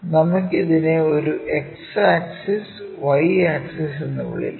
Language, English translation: Malayalam, Let us call this one X axis, somewhere Y axis